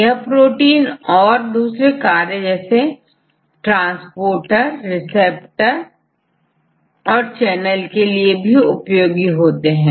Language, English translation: Hindi, So, these proteins also go for various functions like the transporters or receptors and channels and so on